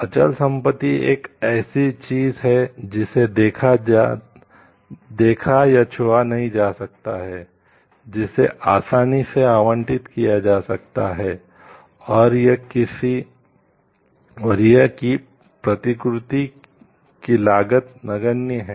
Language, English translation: Hindi, Intangible property is something which cannot be seen or touched, which can be easily appropriated and cost of reproduction is negligible